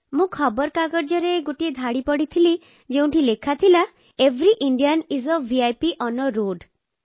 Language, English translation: Odia, I read a line in a newspaper, 'Every Indian is a VIP on the road'